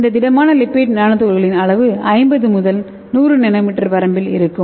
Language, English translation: Tamil, And this solid lipid nano particles will be in the size of between 50 to 100 nanometer